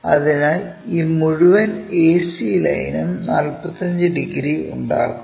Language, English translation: Malayalam, So, this entire ac line supposed to make 45 degrees